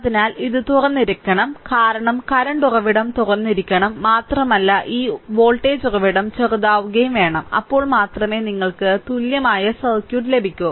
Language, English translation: Malayalam, So, this should be open because, current source should be open and this voltage source it has to be shorted; it has to be shorted